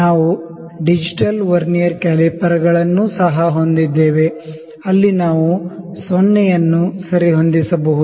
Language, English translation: Kannada, We also have the digital Vernier calipers, where we can adjust the 0